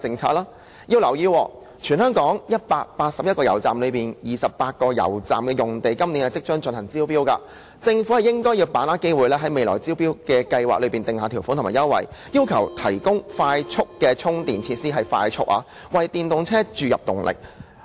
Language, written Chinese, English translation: Cantonese, 請大家留意，在全港181間油站中，有28間油站的用地將會在今年進行招標，政府應該把握機會，在未來的招標計劃中訂下條款和優惠，要求油站必須提供快速充電設施——必須是快速充電——為電動車注入動力。, Members please note that of the 181 petrol filling stations in Hong Kong tender exercises will be conducted on the sites of 28 petrol filling stations this year . The Government should seize this opportunity to lay down conditions and concessions in the tender documents requiring mandatory provision of high speed charging facilities it must be high speed for charging EVs